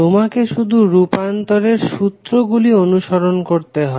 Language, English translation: Bengali, You have to just follow the conversion rule